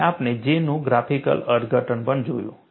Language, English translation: Gujarati, And we also saw a graphical interpretation of J